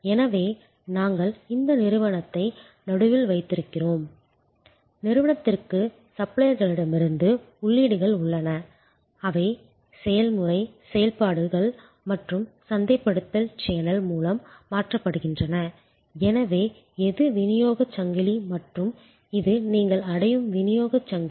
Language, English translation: Tamil, So, we have this firm the organization in the middle, there are inputs from suppliers into the organization which are then converted through process, operations and then through the marketing channel, so this is the supply chain and this is the delivery chain you reach the consumer